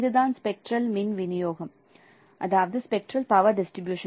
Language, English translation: Tamil, So this is a representation of the color signal in terms of spectral power distribution